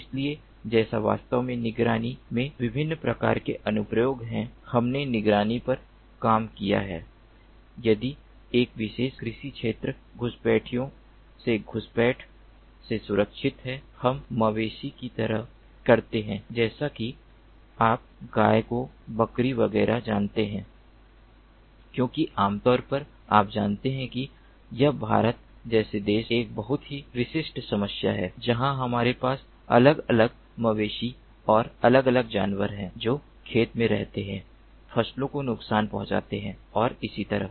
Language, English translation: Hindi, we have worked on ah monitoring if a particular agricultural field is protected from intrusions, from intrusions from, let us say, cattle, ah, like, ah, you know, cows, goats, etcetera, etcetera, because normally, you know, this is a very typical problem in a country like india, where we have ah, different cattles and different animals getting into the field, damaging the crops and so on